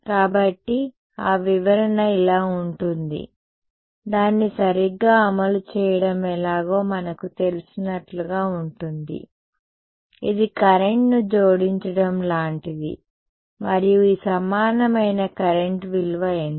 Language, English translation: Telugu, So, that interpretation is like this is just like a we know how to implement it right it is like adding a current and what is the value of this equivalent current